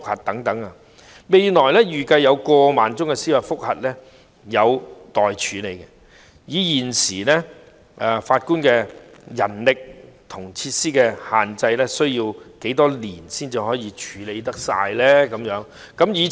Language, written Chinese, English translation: Cantonese, 預計未來有過萬宗司法覆核個案需待處理，以現有法官的人力和設施限制，需要多少年才能處理所有個案呢？, It is anticipated that more than 10 000 judicial review cases will have to be processed in future . Subject to the constraints of the manpower of judges and facilities at present how many years will it take to process all the cases?